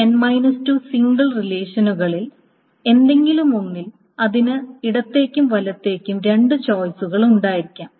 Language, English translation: Malayalam, So for any of this n minus 2 single relations it can have two choices left and right